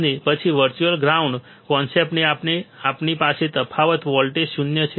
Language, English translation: Gujarati, And then because of the virtual ground concept we have difference voltage zero